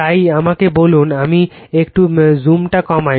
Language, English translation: Bengali, So, let me increase the zoom